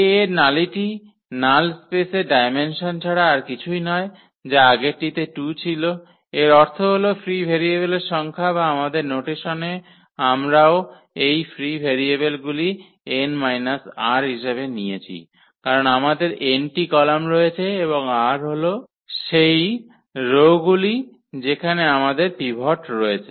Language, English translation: Bengali, The nullity of A is nothing but the dimension of the null space which was 2 in the this previous case, meaning the number of free variables or in our notation we also take this number of free variables as n minus r, because we have n columns and the r are the rows where we have the pivots